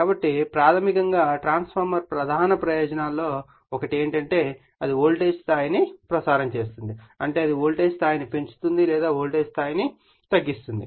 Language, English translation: Telugu, So, basically in a transformer that one of the main advantages is that that it can transmit the voltage level that is it can increase the voltage level or it can you what you call decrease the voltage level